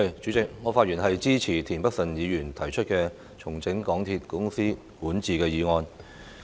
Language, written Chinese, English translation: Cantonese, 主席，我發言支持田北辰議員提出"重整港鐵公司管治"的議案。, President I speak in support of Mr Michael TIENs motion on Restructuring the governance of MTR Corporation Limited